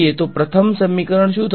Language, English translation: Gujarati, So, what will the first equation